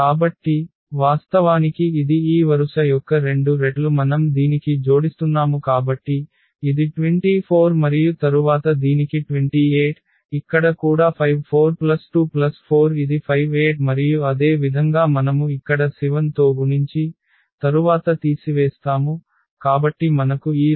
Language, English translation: Telugu, So, we are adding actually it is a two times of two times of this row one we are adding to this one So, this was 24 and then to this is 28, here also 54 plus 2 plus 4 it is a 58 and similarly here we will be multiplying here by 7 and then subtracting, so we will get this row